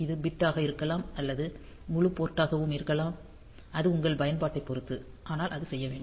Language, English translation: Tamil, So, it may be to the bit or may be to the entire port; depending upon your application, but that has to done